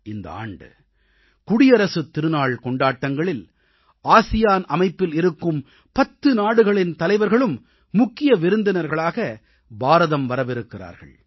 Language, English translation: Tamil, The Republic Day will be celebrated with leaders of all ten ASEAN countries coming to India as Chief Guests